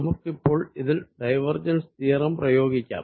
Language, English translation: Malayalam, so let us first take divergence theorem